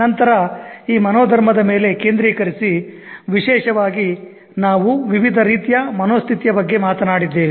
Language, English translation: Kannada, Now the focus on this mindset, particularly we talked about various types of mindset